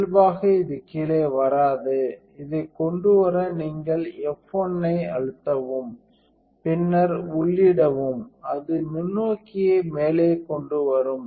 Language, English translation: Tamil, So, by default this will not come down also to bring this up you can press F 1 then enter and it will bring the microscope up